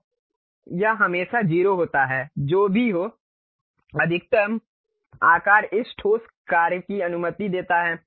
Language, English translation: Hindi, So, it is always be 0 to whatever that maximum size this solid works permits